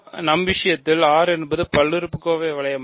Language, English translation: Tamil, Let us take R to be the polynomial ring in one variable